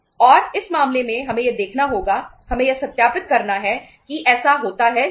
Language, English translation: Hindi, And in this case uh we have to see we have to verify that whether it happens or not